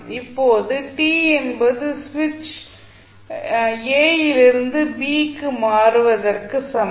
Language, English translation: Tamil, Now, at t is equal to switch is moved from a to b